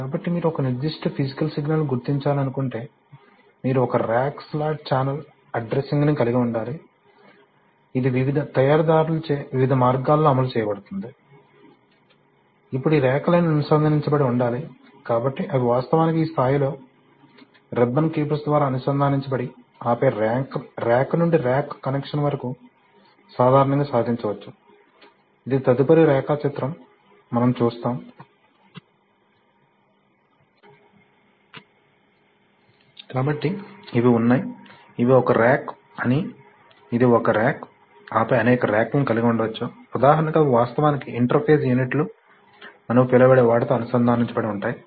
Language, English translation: Telugu, So if you want to identify a particular physical signal, you have to, this is, you have to have a rack slot channel addressing, which is implemented in various ways by various manufacturers, now all these racks must be connected, so these, they are actually connected at this level by ribbon cables and then from rack to Rack connection is generally achieved, okay, we will see this is the next diagram